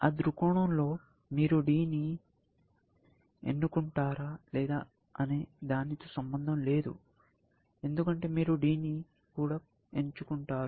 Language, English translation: Telugu, From that point of view, it does not matter whether, you pick D or whether, you pick E